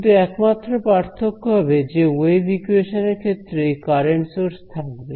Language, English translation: Bengali, But only difference will be that wave equation will have these a current sources